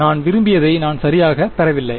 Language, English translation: Tamil, So, I am not exactly getting what I want